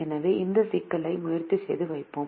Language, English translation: Tamil, so let's try and formulate this problem now